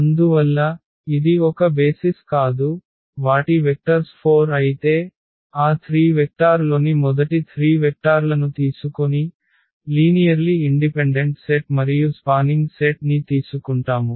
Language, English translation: Telugu, Therefore, it was not a basis so, their vectors were 4 while we have seen that taking those 3 vector first 3 vectors that form a linearly independent set and also a spanning set